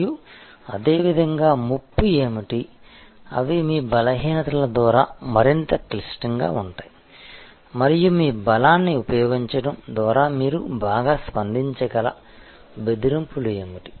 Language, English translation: Telugu, And, similarly what are the threats, that are further complicated by your weaknesses and what are the threats that you can respond to well by using your strength